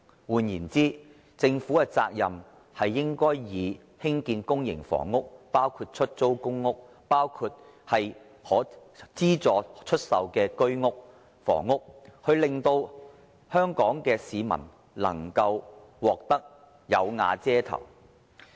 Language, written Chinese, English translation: Cantonese, 換言之，政府的責任應該是以興建公營房屋，包括出租公屋、資助房屋、居屋為主，令香港市民能夠"有瓦遮頭"。, In other words the responsibility of the Government is to construct public housing including rental housing subsidized housing and Home Ownership Scheme flats as the backbone so that Hong Kong people can have a place to stay